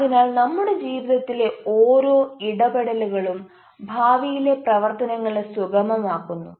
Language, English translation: Malayalam, so every interactions facilitates our behavior for future activity